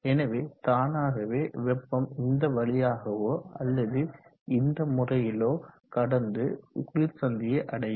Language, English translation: Tamil, So automatically heat will find a path like this or like this, and then reach the cold junction